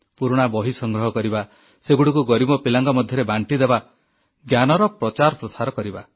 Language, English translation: Odia, Collect old books, distribute them amongst the poor, spread the glow of knowledge